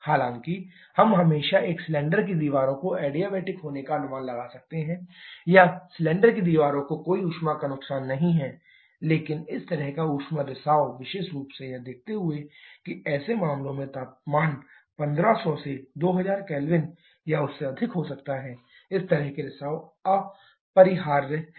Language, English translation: Hindi, Though we can assume always a cylinder walls to be adiabatic or whether there is no heat loss to the cylinder walls, but such kind of heat leakage particularly considering that the temperature in such cases can be in the range of 1500 to 2000 K or even higher such leakages are unavoidable